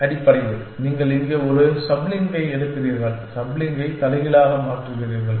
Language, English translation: Tamil, Essentially, you take a sub slink here and reverse the sub slink